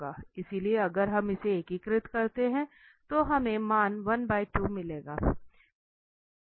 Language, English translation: Hindi, So if we integrate this we will get the value half